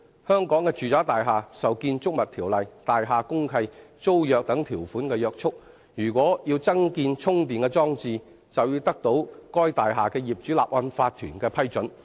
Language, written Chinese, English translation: Cantonese, 香港的住宅大廈受《建築物條例》、大廈公契和租約等條款約束，如果要增建充電裝置，便要得到該大廈的業主立案法團批准。, Residential buildings in Hong Kong are regulated by provisions of the Buildings Ordinance deeds of mutual covenant and tenancy agreements . If charging facilities are to be retrofitted to a building approval must be sought from the owners corporation